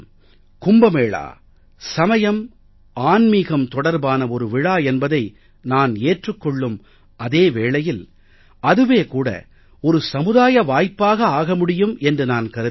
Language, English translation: Tamil, I believe that even if the Kumbh Mela is a religious and spiritual occasion, we can turn it into a social occasion